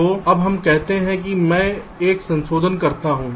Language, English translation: Hindi, so now, lets say i make a modification